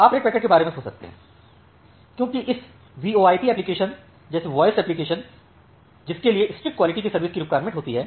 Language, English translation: Hindi, So, you can think of the red packets as the voice applications like this VoIP applications, which require strict quality of service